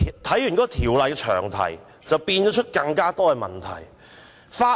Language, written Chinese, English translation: Cantonese, 《條例草案》詳題引申出更多問題。, The long title of the Bill has given rise to more problems